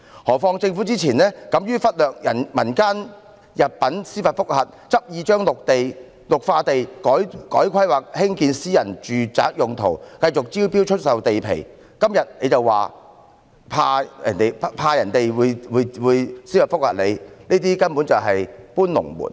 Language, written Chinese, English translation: Cantonese, 再者，政府之前敢於忽略民間入稟的司法覆核，執意把綠化地改劃作興建私人住宅用途，繼續招標出售地皮，今天卻說擔心會有司法覆核，這根本是"搬龍門"。, Earlier on the Government dared to ignore the possibility of judicial review filed by members of the community insisted on rezoning green belt areas for the construction of private residential units and continued to invite tenders for land . Today it says it is worried that there would be judicial review . It is in fact moving the goalposts